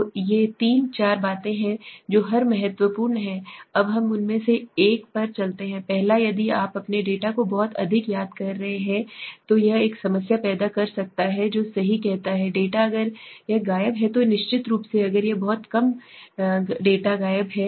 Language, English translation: Hindi, So this are the three four things which are every important let us go to each one of them now the first one if you are missing much of your data this can create a problem it says right too much of data if it is missing then surely if it is very few data is missing